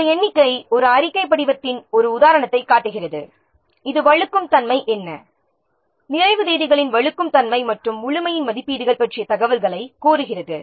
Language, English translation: Tamil, So this figure is shows an example of a report form requesting information about likely what is the slippage, what is the likely slippage of the completion dates as well as the estimates of completeness